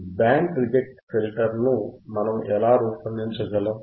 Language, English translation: Telugu, How you can design the band reject filter